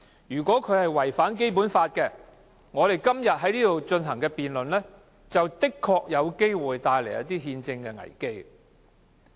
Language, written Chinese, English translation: Cantonese, 如果違反《基本法》，我們今天在這裏進行辯論，的確有可能帶來憲制危機。, If the amendments contravene the Basic Law a constitutional crisis could indeed be triggered by our debate here today